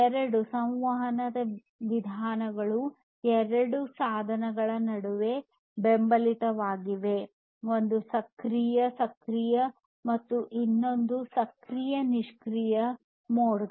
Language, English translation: Kannada, And two communication modes are supported between two devices, one is the active active and the other one is the active passive mode